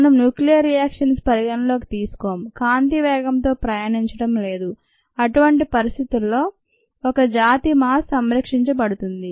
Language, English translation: Telugu, we are, of course, not considering either nuclear reactions or travelling at the speed of light, and in such situations the mass of a species is conserved